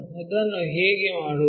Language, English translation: Kannada, How to do that